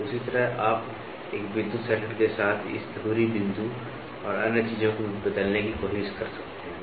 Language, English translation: Hindi, So, in the same way, you can also try to change this pivoting point and other things with an electrical circuit